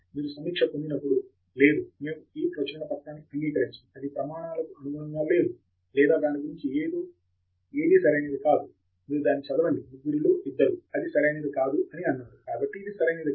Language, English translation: Telugu, When you get the review even if it says, no, we do not accept this paper, it is not up to the standards or something is not correct about it, you read it, don’t just say that ok two out of three people said it is not correct, so that is means it is not correct